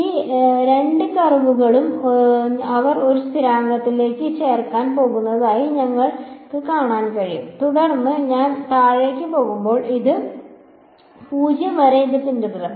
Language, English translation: Malayalam, You can see that these two curves they are going to add to a constant and then, as I go down it is going to follow this all the way to 0